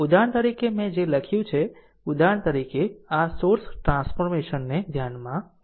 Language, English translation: Gujarati, For example, whatever I have written for example, you consider this source transformation right